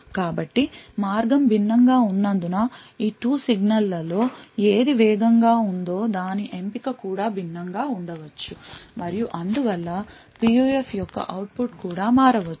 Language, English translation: Telugu, Since the path is different, the choice between which of these 2 signals is faster may also be different, and therefore the output of the PUF may also change